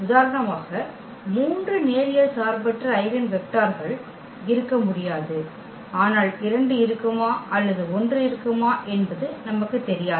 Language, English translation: Tamil, There cannot be three linearly eigen linearly independent eigenvectors for example, in this case, but we do not know whether there will be 2 or there will be 1